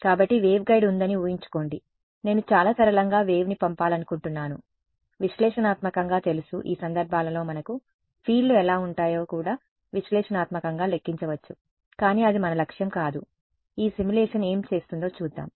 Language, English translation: Telugu, So, imagine there is waveguide I want to send wave through very simple we know analytically in these cases we can even analytically calculate what the fields look like, but that is not our objective let us see what this simulation does